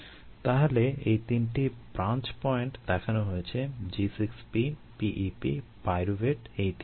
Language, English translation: Bengali, so these three branch points are shown: g six, p, p e, p pyruvate, these three nodes